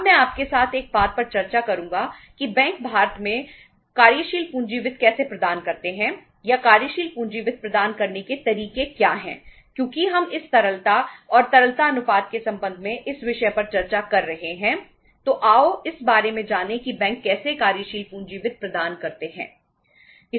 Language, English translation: Hindi, Now I will discuss with you uh one thing that say how the banks provide the working capital finance in India or what are the mods of providing the working capital finance because we are discussing this topic so uh in relation to this liquidity and the liquidity ratios let us know about that how the banks provide the working capital finance